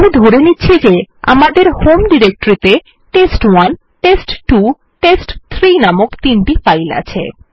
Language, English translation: Bengali, We assume that we have three files named test1 test2 test3 in our home directory